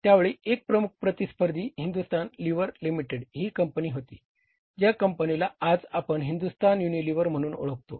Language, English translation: Marathi, At that time their major competitor was Hindustan Liver Limited which now these nowadays we know the company as Hindustan Unilever Achuilh